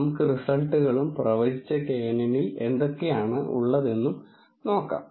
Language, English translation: Malayalam, Let us look at the results and what this predicted knn contains